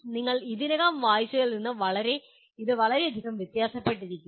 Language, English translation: Malayalam, It may not differ very much from something that you already read